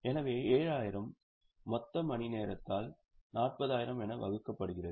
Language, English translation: Tamil, So, 7,000 divided by the total hours that is 40,000